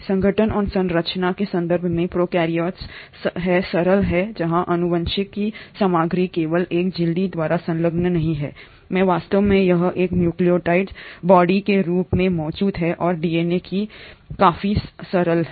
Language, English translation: Hindi, So in terms of organisation and structure, the prokaryotes are the simpler ones where the genetic material is not enclosed exclusively by a membrane itself, in fact it exists as a nucleoid body and DNA is fairly simple